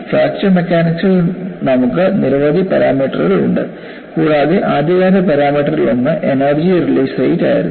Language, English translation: Malayalam, You have several parameters in fracture mechanics and one of the earliest parameters that was used was energy release rate